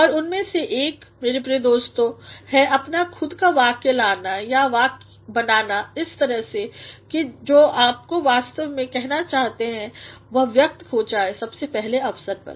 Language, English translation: Hindi, And one of my dear friends is to bring or to create your sentences in such a manner that what you really want to say is expressed in the very first instance